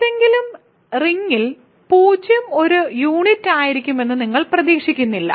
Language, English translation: Malayalam, So, in any ring you do not expect 0 to be a unit